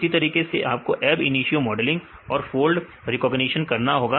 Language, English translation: Hindi, Likewise you have to do ab initio modeling and fold recognition